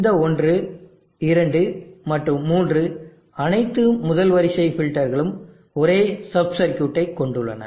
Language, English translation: Tamil, These one two and three all first order filters have the same sub circuit